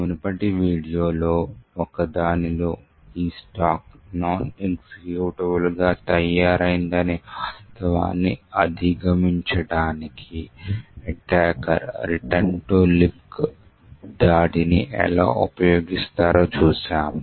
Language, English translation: Telugu, In one of the previous videos we see how attackers use the return to libc attack to overcome the fact that this stack was made non executable